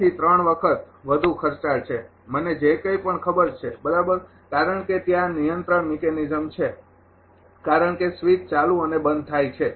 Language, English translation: Gujarati, 5 to ah 3 times; whatever I know right and these because that control mechanism is there because switch on and off